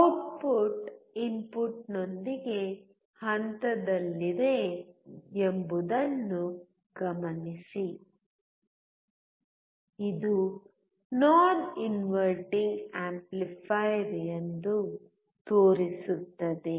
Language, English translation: Kannada, Also note that the output is in phase with the input, which shows that this is a non inverting amplifier